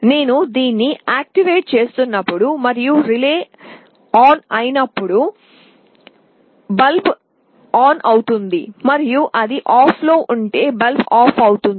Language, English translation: Telugu, When I am activating it and the relay becomes on, the bulb will glow, and if it is off the bulb will be off this is how it works